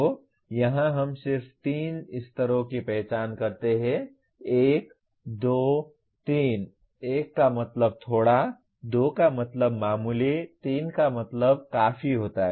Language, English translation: Hindi, So here we just identify three levels; 1, 2, 3; 1 means slightly, 2 means moderately, 3 means significantly